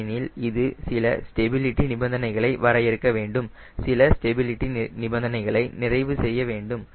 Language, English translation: Tamil, because it has to define some stability criteria which is satisfy some stability criteria